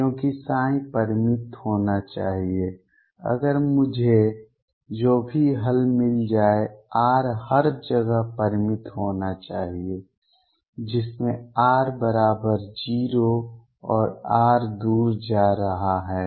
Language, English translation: Hindi, Because psi should be finite, if I whatever solution I find r should be finite everywhere including r equals 0 and r going far away